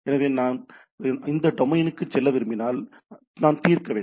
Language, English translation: Tamil, So, I if I want to resolve if I want to go to this domain I need to resolve